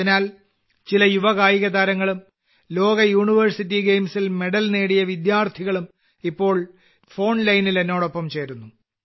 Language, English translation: Malayalam, Hence, some young sportspersons, students who have won medals in the World University Games are currently connected with me on the phone line